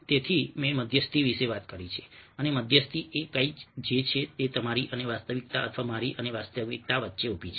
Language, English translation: Gujarati, so i have talked about mediation and ah, mediation is about something which stands between you and the reality, or me and the reality